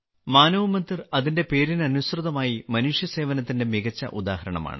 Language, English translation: Malayalam, Manav Mandir is a wonderful example of human service true to its name